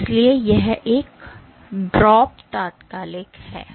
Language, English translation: Hindi, So, that is why this drop is instantaneous